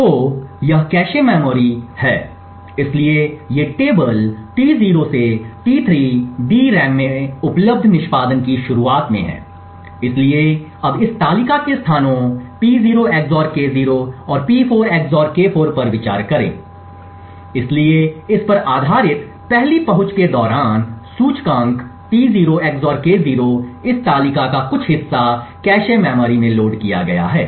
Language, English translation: Hindi, So this is the cache memory, so these tables T0 to T3 are at the start of execution available in the DRAM, so now consider the axis to this tables at locations P0 XOR K0 and P4 XOR K4, so during the 1st access based on this index T0 XOR K0 some part of this table is loaded into the cache memory